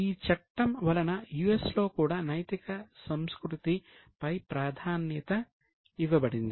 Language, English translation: Telugu, Under the act in US also, the emphasis was on ethical culture